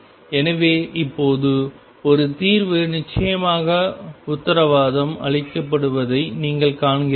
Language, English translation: Tamil, So, you see now one solution is definitely guaranteed